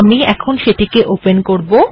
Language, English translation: Bengali, So let me open this